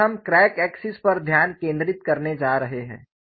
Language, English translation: Hindi, So, on the crack axis, how it will be